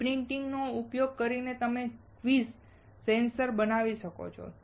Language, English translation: Gujarati, Using screen printing you can make quick sensors